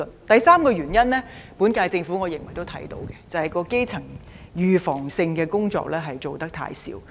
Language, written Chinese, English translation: Cantonese, 第三個原因，我認為本屆政府也察覺得到，那就是基層預防性的工作做得太少。, I think the current - term Government is also aware of the third reason that is we have not done enough in promoting preventive primary healthcare